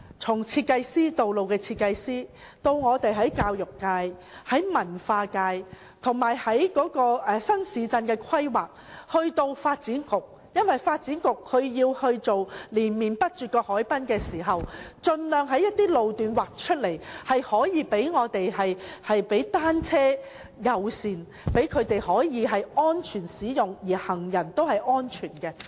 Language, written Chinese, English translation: Cantonese, 此事涉及道路設計師、教育界、文化界，以至負責新市鎮規劃的發展局，因為發展局興建連綿不絕的海濱長廊時，要盡量劃出一些路段，以落實單車友善政策，讓踏單車的人可以安全使用，而行人亦能安全。, This matter involves road designers the education sector the cultural sector as well as the Development Bureau which is responsible for new town planning . It is because in constructing a continuous harbourfront promenade the Development Bureau will have to exert its best to designate some road sections for implementation of the bicycle - friendly policy so that cyclists can use the road safely while the safety of pedestrians can also be assured